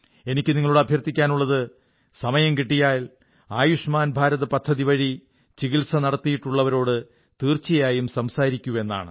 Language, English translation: Malayalam, I request you, whenever you get time, you must definitely converse with a person who has benefitted from his treatment under the 'Ayushman Bharat' scheme